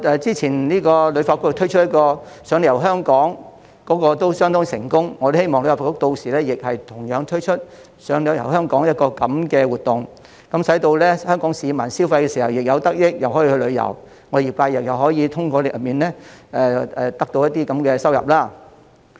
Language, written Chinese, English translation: Cantonese, 之前旅發局推出的"賞你遊香港"活動亦相當成功，我希望旅發局屆時亦會推出"賞你遊香港"的活動，使香港市民在消費時既能得益，又可以去旅遊，業界又可以通過活動得到收入。, HKTB launched the Free Tour Programme . The response has been overwhelming . I hope that HKTB will launch this activity again so that Hong Kong people can benefit from and enjoy a tour while spending and the industry can make some money through the activity